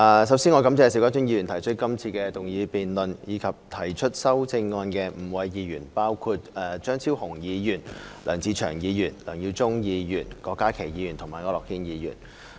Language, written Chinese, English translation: Cantonese, 首先，我感謝邵家臻議員提出這項議案，亦感謝提出修正案的5位議員，包括張超雄議員、梁志祥議員、梁耀忠議員、郭家麒議員和區諾軒議員。, First I thank Mr SHIU Ka - chun for proposing this motion debate and the five Honourable Members―Dr Fernando CHEUNG Mr LEUNG Che - cheung Mr LEUNG Yiu - chung Dr KWOK Ka - ki and Mr AU Nok - hin―for proposing amendments